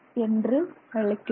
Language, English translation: Tamil, So, that is what we see